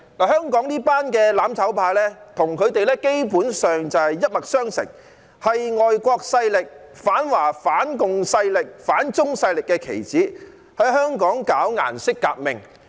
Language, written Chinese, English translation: Cantonese, 香港這群"攬炒派"基本上與他們一脈相承，是外國勢力、反華反共勢力、反中勢力的棋子，在香港搞顏色革命。, These people in the mutual destruction camp in Hong Kong are basically the same with the imperialists . They are the pawns of foreign forces anti - Chinese and anti - communism forces and anti - China forces intending to stage a colour revolution in Hong Kong